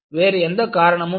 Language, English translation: Tamil, There is no other reason